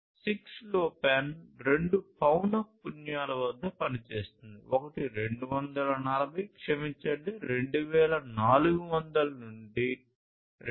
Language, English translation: Telugu, 6LoWPAN operates at two frequencies: one is the 240, sorry, 2400 to 2483